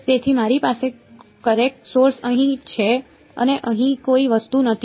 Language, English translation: Gujarati, So, I have the current source over here and there is no object over here